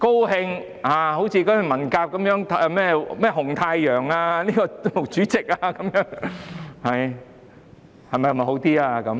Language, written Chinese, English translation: Cantonese, 好像文革時的紅太陽、毛主席那樣，會否好一點呢？, Will it be better to follow the red sun and chairman MAO during the Cultural Revolution?